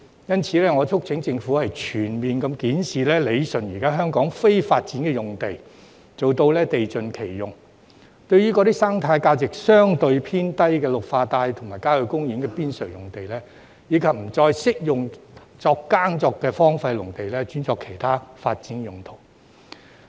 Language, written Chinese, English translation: Cantonese, 因此，我促請政府全面檢視、理順香港現時的非發展用地，做到地盡其用，對於生態價值相對偏低的綠化帶及郊野公園邊陲用地，以及不再適合耕作的荒廢農地，轉作其他發展用途。, Therefore I urge the Government to conduct a comprehensive review and rationalize the policy on existing non - development sites in Hong Kong in a bid to optimize their uses . As for sites in Green Belt zones and the periphery of country parks of relatively low ecological value as well as those idle farmlands no longer suitable for farming they should be rezoned for other development purposes